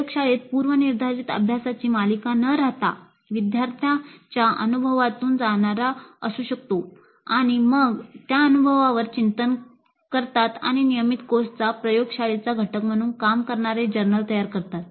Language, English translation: Marathi, Instead of the laboratory being a series of predefined exercises, it can be an experience through which the students go through and then they reflect on the experience and create a journal and that can serve as the laboratory component of a regular course